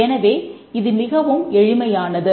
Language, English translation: Tamil, Now this is a very simple problem